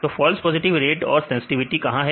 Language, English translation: Hindi, So, where is false positive rate and the sensitivity